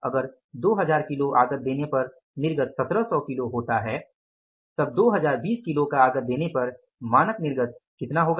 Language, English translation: Hindi, So, by giving input of 2,000 kg is, if the output is 1,700 kg, so by giving input of 2 020, what is the standard yield that is 1 7